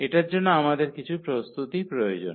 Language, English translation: Bengali, So, for that we just need some preparations here